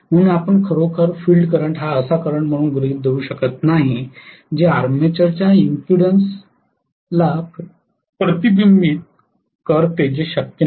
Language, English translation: Marathi, So you cannot really take the field current as the current which would reflect on the impedance of the armature that is not possible